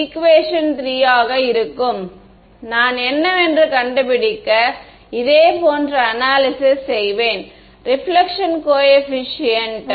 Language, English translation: Tamil, Will be equation 3 and I will do a similar analysis, to find out what is the reflection coefficient